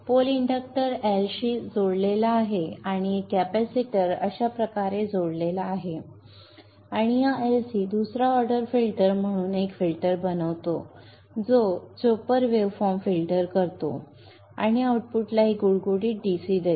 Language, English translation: Marathi, The pole is connected to the inductor L and a capacitor is connected across like this and this LC forms a filter, a second order filter which filters out the chopped waveform and gives a smooth DC to the output